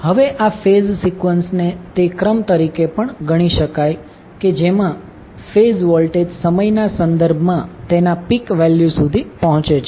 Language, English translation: Gujarati, Now, this phase sequence may also be regarded as the order in which phase voltage reach their peak value with respect to time